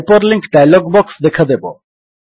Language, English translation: Odia, The Hyperlink dialog box appears